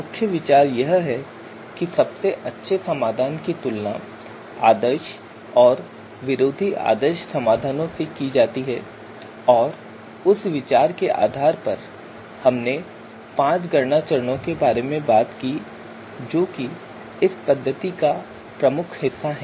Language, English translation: Hindi, Main idea is that the you know you know best solution is actually compared with the ideal and anti ideal solution and you know based on that idea you know we talked about five computation steps that are part of this method